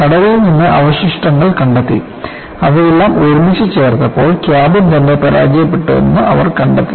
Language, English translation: Malayalam, Only when they recovered the debri from the sea, when they put all of them together, they found that cabin itself had failed